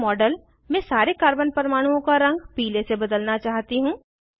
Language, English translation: Hindi, I want to change the colour of all the Carbon atoms in the model, to yellow